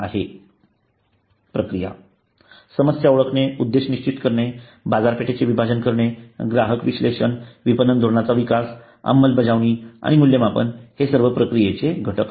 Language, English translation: Marathi, the process problem identification objective setting market segmentation consumer analysis marketing strategy development implementation and evaluation are part of the process